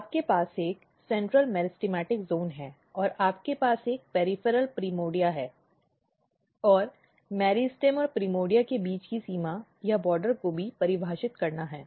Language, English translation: Hindi, So, you have a central meristematic zone and you have a peripheral primordia and the another very important thing is the border or the boundary between meristem and primordia this has to be defined